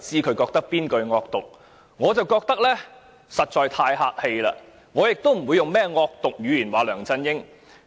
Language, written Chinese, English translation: Cantonese, 我覺得大家發言時實在太客氣，亦不會用甚麼惡毒語言批評梁振英。, I think we have been too polite when we speak and we will not use vicious language to criticize LEUNG Chun - ying